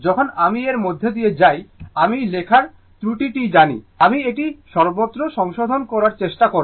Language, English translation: Bengali, When we will go through it by, you know writing error, I will I try to rectify everywhere